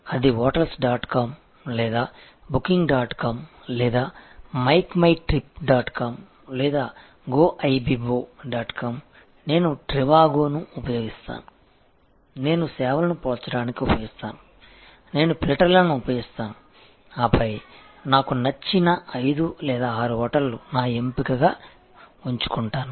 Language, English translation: Telugu, So, be it hotels dot com or booking dot com or make my trip dot com or goibbo dot com, I use trivago, I use the comparative services, I use the filters and then, come to may be 5 or 6 hotels of my choice